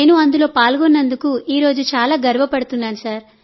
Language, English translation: Telugu, I really feel very proud today that I took part in it and I am very happy